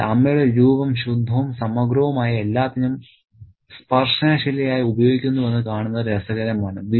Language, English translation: Malayalam, So, it's interesting to see that the figure of the mother is used as the touchstone for everything that is pure and full of integrity